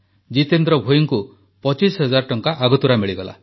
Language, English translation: Odia, Jitendra Bhoi even received an advance of Rupees twenty five thousand